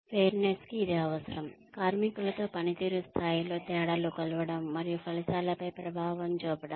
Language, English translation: Telugu, Fairness requires that, differences in performance levels, across workers be measured, and have an effect on outcomes